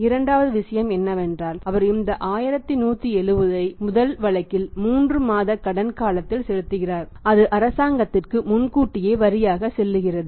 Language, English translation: Tamil, Second thing is that he is paying this 1170 in the first case 3 months credit period and this is going as advance tax to the government